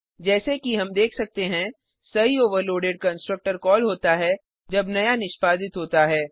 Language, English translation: Hindi, As we can see, the proper overloaded constructor is called when new is executed